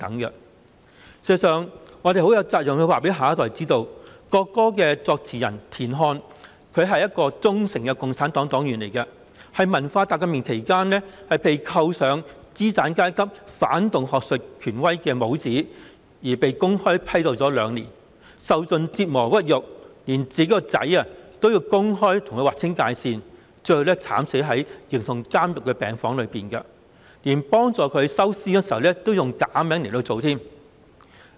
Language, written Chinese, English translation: Cantonese, 事實上，我們有責任告訴下一代，國歌的作詞人田漢是一名忠誠的共產黨黨員，但在文化大革命期間，他被扣上資產階級、反動學術權威的帽子，因而被公開批鬥了兩年，受盡折磨屈辱，連他的兒子也公開與他劃清界線，最後他更慘死在形同監獄的病房內，連替他收屍時，也要用假名來處理。, Yet during the Cultural Revolution he was labelled as a capitalistic and counter - revolutionary academic authority . He had been criticized and denounced publicly for two years enduring all kinds of torture and humiliation and even his son denounced him publicly . In the end he died distressingly in a ward comparable to a jail